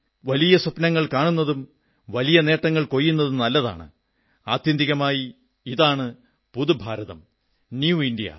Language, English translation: Malayalam, I feel it is good, dream big and achieve bigger successes; after all, this is "the New India"